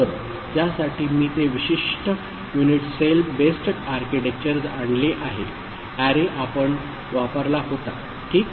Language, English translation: Marathi, So, for which I have brought that particular unit cell based architecture, the array we had used ok